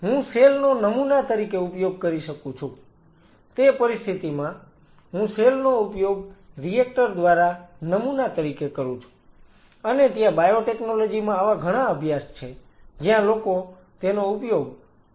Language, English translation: Gujarati, I can use the cell as a simple in that situation I am using the cell as a sample by reactor, and there are many such studies in biotechnology where people use them as bioreactor, we are just producing unit as a matter of fact